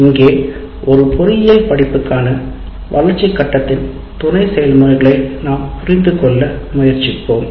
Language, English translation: Tamil, So here we try to understand the sub processes of development phase for an engineering course